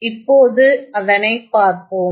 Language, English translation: Tamil, Let us have a look at it